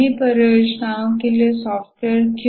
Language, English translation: Hindi, All software projects, why software, all projects